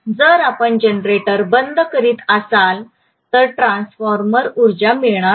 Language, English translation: Marathi, If you are shutting down the generator then the transformer will not be energized